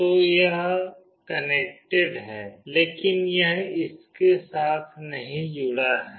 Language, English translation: Hindi, So, this is connected, but this is not connected with this one